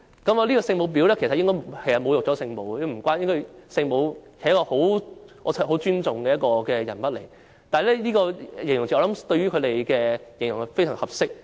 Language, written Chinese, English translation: Cantonese, 其實這個形容詞侮辱了聖母，聖母是一個我很尊重的人物，但這個形容詞用來形容他們卻非常合適。, Such an adjective is indeed blasphemous to the Holy Mother whom I highly respect . But it is a very fitting adjective to describe them